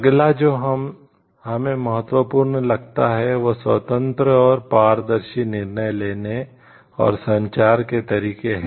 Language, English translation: Hindi, Next what we find is important is open and transparent decision making and communication methods